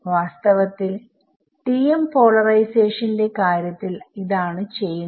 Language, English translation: Malayalam, In fact, that is what we do in the case of the TM polarization